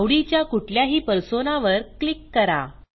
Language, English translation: Marathi, Click on any Persona of your choice